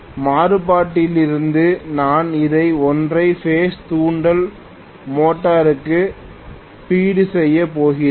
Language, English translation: Tamil, From the variac I am going to feed it to the single phase induction motor